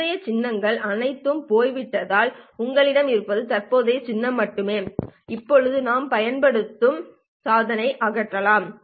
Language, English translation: Tamil, Since the previous symbols have all gone away and what you have is only the current symbol, we can now remove the subscript C that we were using